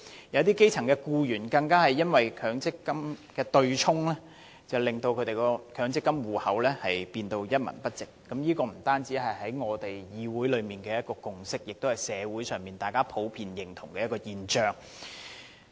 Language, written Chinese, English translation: Cantonese, 有一些基層的僱員更因為對沖機制，令他們的強積金戶口的款項剩餘無幾。這不僅是立法會內的共識，同樣是社會上大家普遍認同的現象。, Little remains in the MPF accounts of some grass - roots employees thanks to the offsetting mechanism―it is not just a consensus inside the Legislative Council but also a commonly recognized phenomenon in society